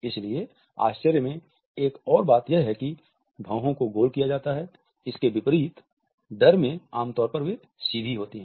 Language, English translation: Hindi, So, in surprise another thing to notice is that the eyebrows are rounded, unlike in fear when they are usually straight